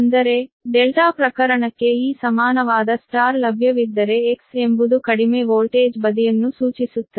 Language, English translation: Kannada, that means for delta case, if this equivalent star is available, then v, your x is stands for low voltage side